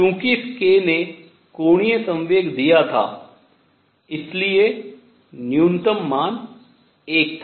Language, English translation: Hindi, Since this k gave the angular momentum the minimum value was 1